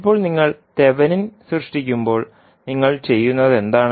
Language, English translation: Malayalam, So now, if you see when you create the thevenin equivalent what you do